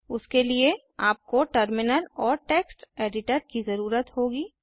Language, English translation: Hindi, For that you need a Terminal and you need a Text Editor